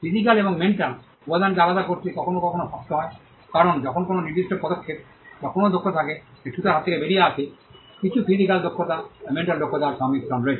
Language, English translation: Bengali, It is sometimes hard to segregate the physical and mental element, because when there is a particular move or a skill that comes out of the carpenter’s hand; there is a combination of certain physical skills and mental skills